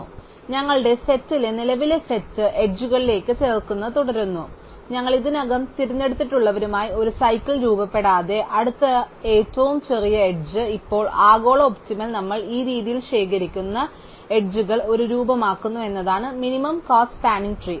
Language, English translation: Malayalam, So, here we keep adding to the current set of edges in our set, the next smallest edge that does not form a cycle with those at we have already choose and now the global optimum is that the edges that we collect in this way form a minimum cost spanning tree